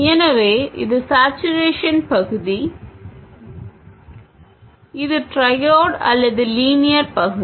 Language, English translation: Tamil, So, this is the saturation region and this is the triode or linear region